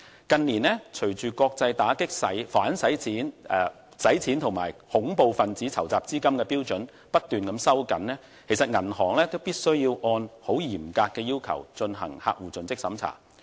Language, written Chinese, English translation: Cantonese, 近年隨着國際打擊洗黑錢及恐怖分子籌集資金的標準不斷收緊，銀行必須按照嚴格的要求進行客戶盡職審查。, With the continuous tightening of international standards on anti - money laundering and counter - terrorist financing banks must conduct very stringent due diligence checks on their customers